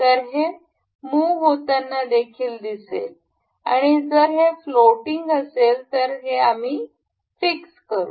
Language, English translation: Marathi, So, it will also be moving and in case if it is floating we can fix this